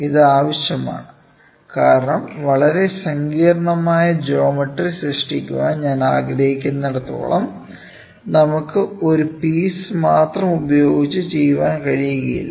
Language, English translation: Malayalam, So, this is required because wherever I wanted to create a very complex geometry, I will not be able to do it in a single piece